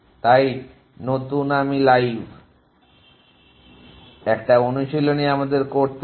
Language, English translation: Bengali, So new I live it is an exercise we to do